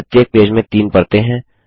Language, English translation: Hindi, There are three layers in each page